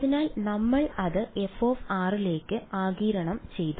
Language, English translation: Malayalam, So, we just absorbed it into f of r